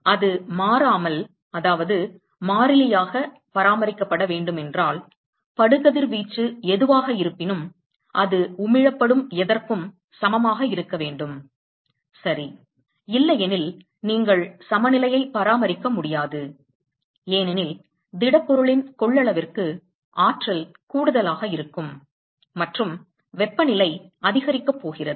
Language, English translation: Tamil, Now, if it has to be maintained constant, then whatever incident radiation, whatever incident radiation that comes to the surface should be equal to whatever is emitted right – otherwise you cannot maintain equilibrium, because there is going to be addition of energy to the capacity of the solid and the temperature is going to increase